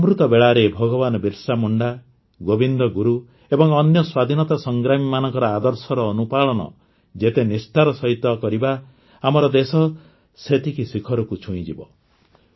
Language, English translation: Odia, The more faithfully we follow the ideals of Bhagwan Birsa Munda, Govind Guru and other freedom fighters during Amrit Kaal, the more our country will touch newer heights